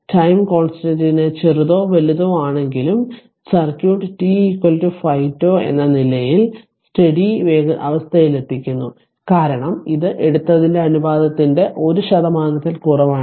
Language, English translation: Malayalam, At any rate whether the time constant is small or large, the circuit reaches steady state at t is equal to 5 tau because it is it is less than one percent that your what you call the ratio whatever you have taken right